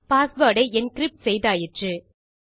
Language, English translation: Tamil, We have encrypted our password